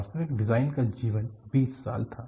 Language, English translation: Hindi, The actual design life was 20 years